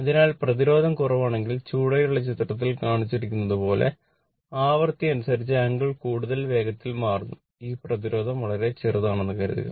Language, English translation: Malayalam, So, if the resistance is low suppose if the resistance is low the angle changes more rapidly with the frequency as shown in figure below suppose this resistance is very small